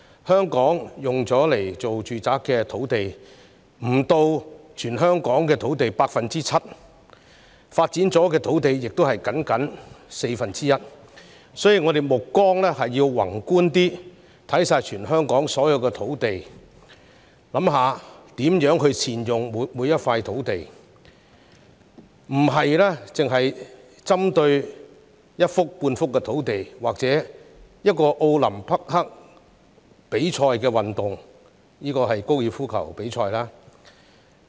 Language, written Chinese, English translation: Cantonese, 香港用作住宅用途的土地不足全港土地的 7%， 已發展的土地亦僅佔全港土地的四分之一，所以我們應該更宏觀地放眼全港所有土地，思考如何善用每幅土地，而不應單單針對一幅半幅與奧林匹克比賽項目有關的用地。, Considering that residential sites take up less than 7 % of land in Hong Kong and developed land accounts for only a quarter of the total area of Hong Kong we should adopt a more macro perspective in thinking how every piece of land in Hong Kong can be utilized . It is wrong to focus on a single site used for an Olympic sport ie . golf